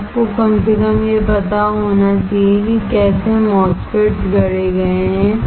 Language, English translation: Hindi, That you should know at least how a MOSFETs is fabricated